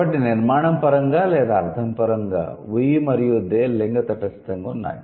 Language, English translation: Telugu, So, structurally or semantically, we and they are gender neutral